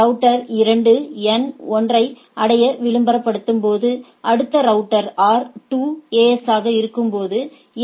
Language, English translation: Tamil, And router 2 when it is advertising that in order to reach N 1, you next router will be R 2 AS is AS 2 next AS is AS 1